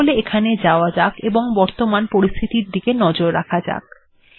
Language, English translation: Bengali, Lets just go here and see what the current status is